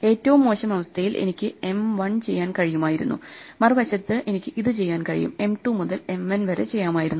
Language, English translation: Malayalam, In the worst case I could be doing M 1, and on the other side I can doing it I could have done M 2 up to M n this whole thing